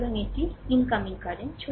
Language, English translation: Bengali, So, it is your incoming current